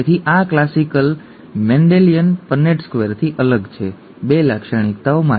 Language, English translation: Gujarati, So this is different from the classic Mendelian Punnett square, for 2 characteristics